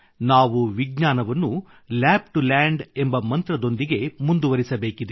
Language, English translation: Kannada, We have to move science forward with the mantra of 'Lab to Land'